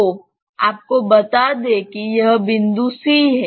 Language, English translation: Hindi, So, you let us say this point is C